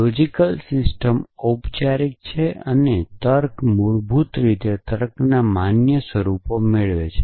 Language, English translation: Gujarati, So, the logical system is formal and the logic is basically captures valid forms of reasoning